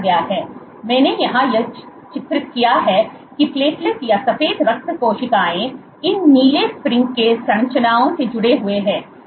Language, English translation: Hindi, So, what I have depicted here is platelet or white blood cells, which are connected by these blue spring like structures